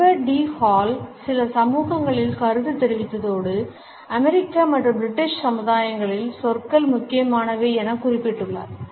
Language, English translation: Tamil, Edward T Hall has commented that in certain societies and he has given the example of the American and British societies words are important